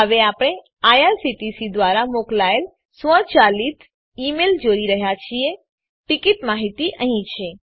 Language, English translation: Gujarati, We are now looking at the automated email sent by IRCTC the ticket details are here